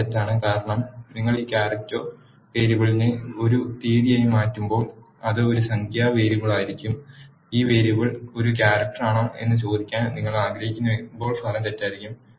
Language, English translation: Malayalam, The result is false because when you coerce this character variable as a date it will be a numeric variable, when you want to ask whether this variable is a character the result will be false